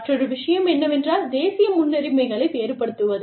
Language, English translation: Tamil, Differing national priorities is another one